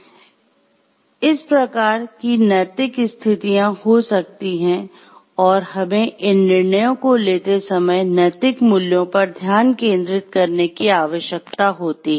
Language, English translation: Hindi, So, these types of ethical situations may happen and we need to be focused on the ethical values, while taking these decisions